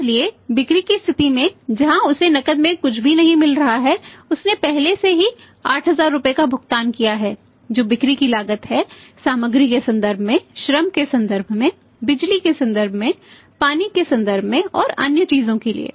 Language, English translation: Hindi, So, see at the point of sales where is not getting anything in cash he has already paid 8000 rupees which is the cost of sales in terms of material in terms of labour in terms of power in terms of water and other things